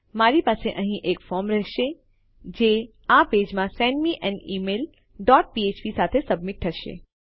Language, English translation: Gujarati, I will have a form here which will submit to this page with send me an email dot php